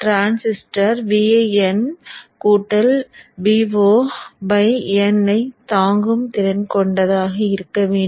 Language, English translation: Tamil, So the transistor should be capable of withstanding vin plus v0 by n